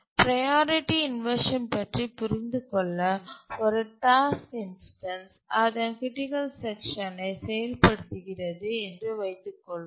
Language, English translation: Tamil, To understand what is priority inversion, let's assume that a task instance that is a job is executing its critical section